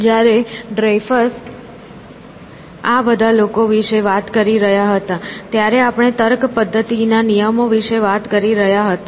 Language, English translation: Gujarati, when Dreyfus was talking about all these people, we were talking about rules as a mechanism for reasoning